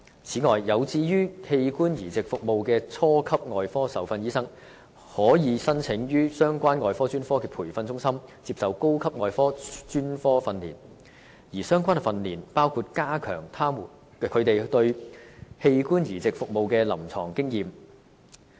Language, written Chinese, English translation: Cantonese, 此外，有志於器官移植服務的初級外科受訓醫生，可以申請於相關外科專科的培訓中心接受高級外科專科訓練，而相關訓練包括加強他們對器官移植服務的臨床經驗。, Moreover basic surgical trainees who are interested in organ transplant service can apply for higher surgical training at the training centres of the relevant surgical specialties . The relevant trainings include increasing their clinical exposure to organ transplant service